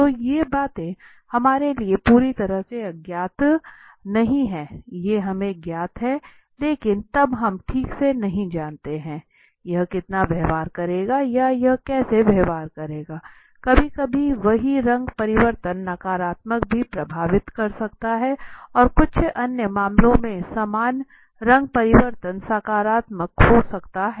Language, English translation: Hindi, So these are the things which are not completely to unknown to us that is known to us but then we do not know exactly how much it will behave or how it will behave sometime the same color change could affect in the negative also and some other cases the same color change could affect could be positive move right